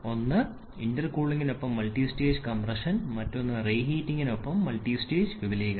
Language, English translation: Malayalam, One is multistage compression with intercooling and other is multistage expansion with reheating